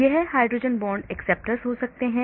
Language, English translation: Hindi, This can be hydrogen bond acceptors